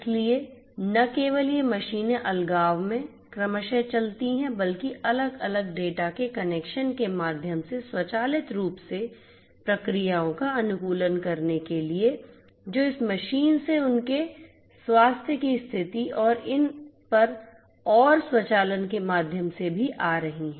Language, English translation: Hindi, So, not just not just having these machines run respectively in isolation, but also to optimize the processes you know automatically in you know through the connection of the different data that are coming from this machines about their health conditions and so on and also through the automation overall